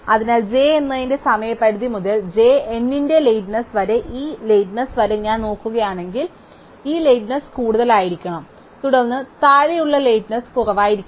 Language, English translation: Malayalam, So, if I look from the deadline of j up to where j ends then this length, this lateness must be more then the lateness below cannot be the less then